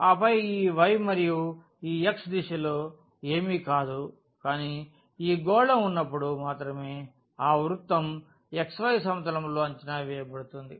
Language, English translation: Telugu, And then in the direction of this y and this x this is nothing, but that circle only when this is sphere is projected to this xy plane